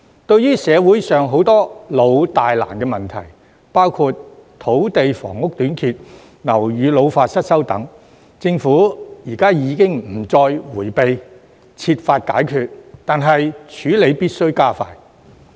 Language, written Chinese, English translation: Cantonese, 對於社會上許多老、大、難的問題，包括土地房屋短缺、樓宇老化失修等，政府現已不再迴避，設法解決，但處理必須加快。, Now the Government no longer shies away from a large number of long - standing grave and thorny problems in society including the shortage of land and housing ageing and dilapidation of buildings . Instead it is looking for solutions . That said the process must be expedited